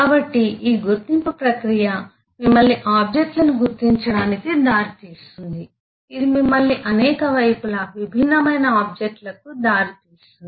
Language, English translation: Telugu, so this identification process can lead you to identification of objects, could lead you to several sides, different possible objects